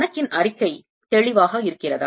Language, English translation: Tamil, is the problem statement clear